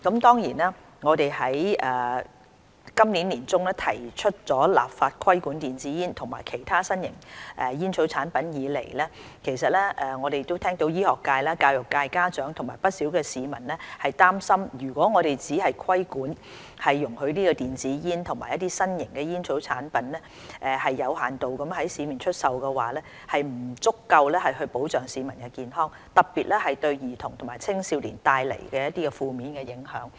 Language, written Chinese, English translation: Cantonese, 自今年年中提出立法規管電子煙及其他新型吸煙產品的建議以來，我們聽到醫學界、教育界、家長及不少市民擔心，如果只作規管，容許電子煙及其他新型吸煙產品有限度在市面出售，將不足以保障市民健康，特別會對兒童及青少年帶來十分負面的影響。, Since we proposed to enact legislation for the regulation of electronic cigarettes and other new smoking products in the middle of the year we have heard of concerns from the medical sector education sector parents and many other people . They are worried that if electronic cigarettes and other new smoking products are only regulated and their sale is allowed with restrictions in the market the measure will be inadequate in protecting public health on top of bringing about very negative impact on children and adolescents in particular